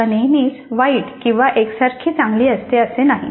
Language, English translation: Marathi, It is not that the language is always bad or uniformly good